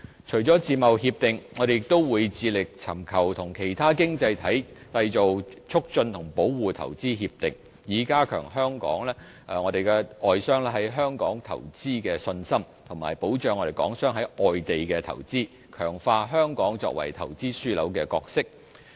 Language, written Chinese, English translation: Cantonese, 除了自貿協定，我們亦會致力尋求與其他經濟體締結投資協定，以加強外商在香港投資的信心，以及保障港商在外地的投資，強化香港作為投資樞紐的角色。, We anticipate that we will complete the negotiation early this year . Apart from FTAs we also strive to conclude IPPAs with other economies so as to give additional assurance to overseas investors to invest in Hong Kong and also offer protection to Hong Kong business operators on their investments overseas and enhance the role of Hong Kong as an investment hub